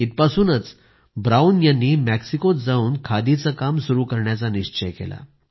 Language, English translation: Marathi, It was here that Brown resolved to work on khadi on his return to Mexico